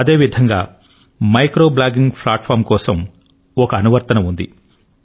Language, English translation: Telugu, Similarly, there is also an app for micro blogging platform